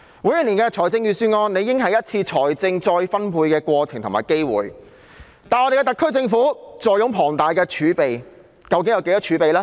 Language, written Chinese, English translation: Cantonese, 每年的預算案理應是一次財政再分配的過程及機會，而特區政府坐擁龐大儲備，有多少儲備呢？, The preparation of annual Budgets should be an exercise and opportunity of wealth redistribution and the SAR Government has huge reserves